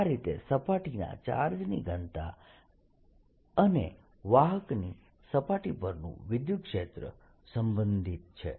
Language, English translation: Gujarati, this is how surface charge density and the electric field on the surface of conductor are related